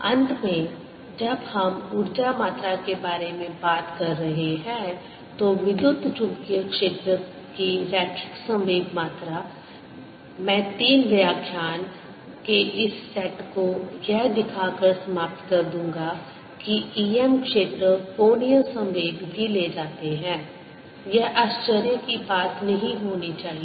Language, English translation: Hindi, finally, when we are talking about the energy content, linear momentum content, of the electromagnetic field, i will conclude this set of three lectures by showing that e m fields carry angular momentum also